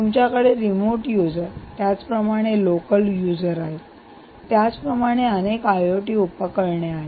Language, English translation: Marathi, you have remote users, you have local users here, you have a lot of i o t devices